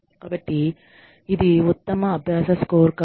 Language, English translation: Telugu, So, this is the best practices scorecard